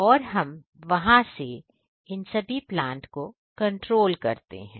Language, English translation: Hindi, And we control from there